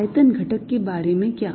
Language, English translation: Hindi, how about the volume element